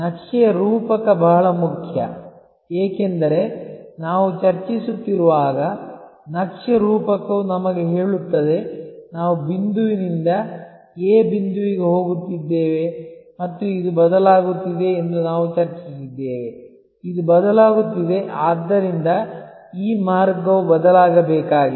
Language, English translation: Kannada, The map metaphor is very important, because as we were discussing, the map metaphor tells us, that we are going from point A to point B and we have discussed that this is changing, this is changing therefore, this route needs to change